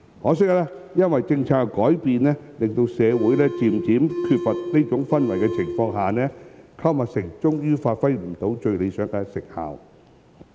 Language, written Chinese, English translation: Cantonese, 可惜，因政策的改變，令社會逐漸缺乏這種氛圍，購物城最終未能發揮最理想的成效。, Unfortunately due to a change in policy this atmosphere was lost in the community and the Boxes had failed to yield the most desirable results in the end